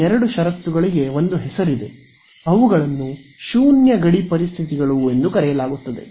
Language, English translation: Kannada, These two conditions there is a name for them they are called Null boundary conditions